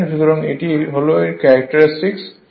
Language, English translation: Bengali, So, this is the characteristic